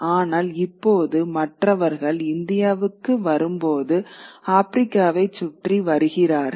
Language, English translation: Tamil, But now when others come to India, they come all around Africa, right